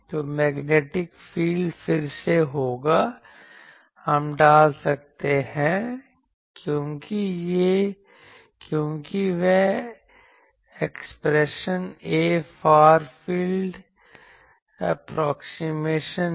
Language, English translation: Hindi, So, magnetic field will be again, we can put because that expression A is there far field approximation